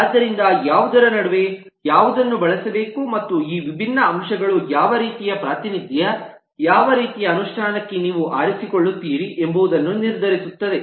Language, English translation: Kannada, so there is a tradeoff between what, which one should be used, and these different factors will decide what kind of representation, what kind of implementation you will choose for